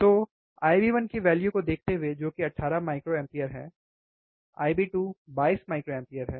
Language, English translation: Hindi, So, given the values of I b 1, which is 18 microampere, I bIb 2 is 22 microampere